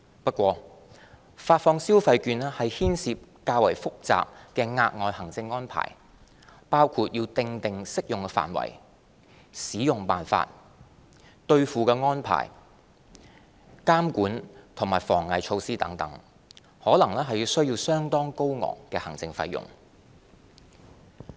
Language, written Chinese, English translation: Cantonese, 不過，發放消費券牽涉較複雜的額外行政安排，包括訂定適用範圍、使用辦法、兌付安排、監管和防偽措施等，可能需要相對高昂的行政費用。, However issuing consumption vouchers involves additional and more complicated administrative arrangements including determining the scope of coverage the terms of usage the redemption arrangements the control and anti - counterfeiting measures etc . which may result in relatively high administrative costs